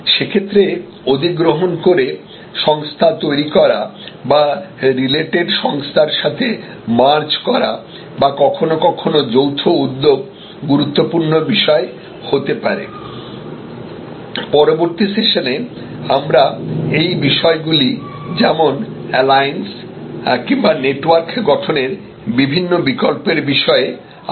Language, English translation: Bengali, In that case it may be important to create a acquired company or merge with the related company or sometimes create joint ventures and so on, these details we will discuss in later sessions this various alternatives of forming alliances and networks and so on